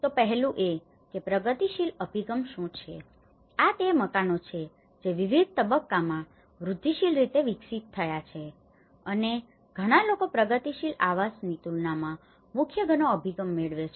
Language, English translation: Gujarati, So one is, what is progressive approach, these are the houses developed in different stages in incremental way, right and many people gets a core house approach versus with the progressive housing